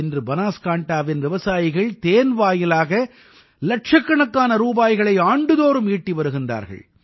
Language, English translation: Tamil, Today, farmers of Banaskantha are earning lakhs of rupees annually through honey